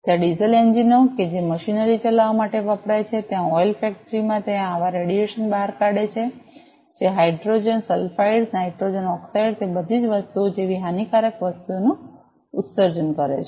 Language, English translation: Gujarati, There the diesel engines that are used to run the machineries, there in the oil factory those emits such radiation the exerts that are emitted contents very harmful gases like hydrogen sulphides, nitrogen oxides, all those things